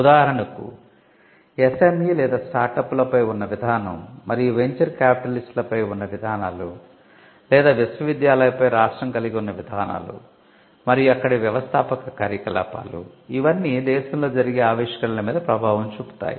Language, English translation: Telugu, For instance, the policy that it has on SME’s or on startups and the policies it has on venture capitalist or the policies the state has on universities and the entrepreneurial activity there, these can also play a role on how innovation happens in a country and this is again a part of the entrepreneurial function of the state